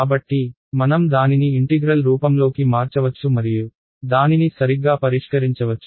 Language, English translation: Telugu, So, we can convert it to integral form and solve it that way as well right